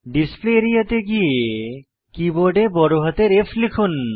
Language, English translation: Bengali, Come to the Display Area and press capital F on the keyboard